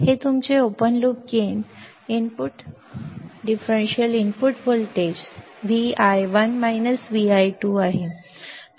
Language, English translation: Marathi, This is your open loop gain input the differential input voltage v i 1 minus v i 2